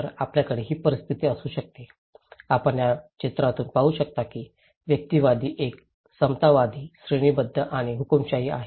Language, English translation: Marathi, So, we can have this scenario, you can see through this picture that one in individualistic, one is egalitarian, hierarchical and authoritarian